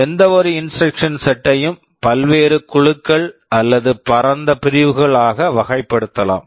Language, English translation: Tamil, Broadly speaking any instruction set can be categorized into various groups or broad categories